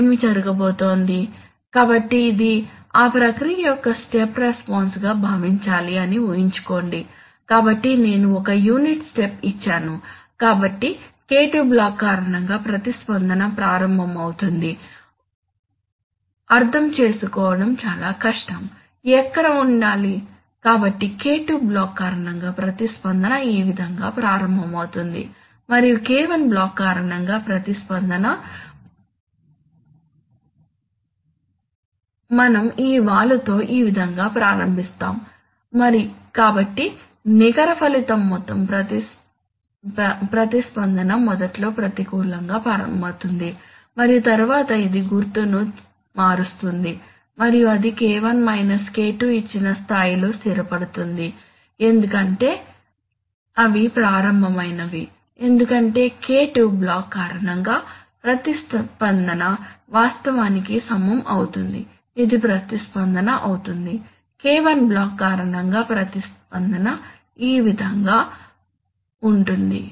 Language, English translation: Telugu, What is going to happen, so imagine that let us consider this is the step response of that process, so I have given a unit step, so the response due to the K2 block will start, it is very difficult to understand, where to put it, so the response due to K2 block will start along this way and the response due to the K1 block we will start along this way with this slope, so the net result will be that the overall response will initially start going negative and then it will change sign and then it will settle at a level which is given by K1 K2 because those are the initial, because the response due to the K2 block will actually level, this will be the response, while the response due to the K1 block is going to be like this